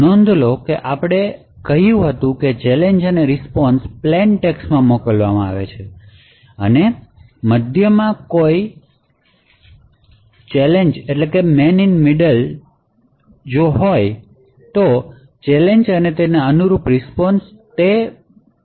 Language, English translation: Gujarati, So, note that we said that the challenge and the response is sent in clear text and therefore any man in the middle could view the challenge and the corresponding response